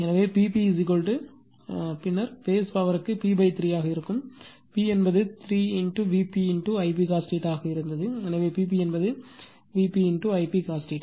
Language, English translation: Tamil, Therefore, P p is equal to then for phase power will be p by 3, p was 3 V p I p cos theta, so P p will be V p I p cos theta for phase right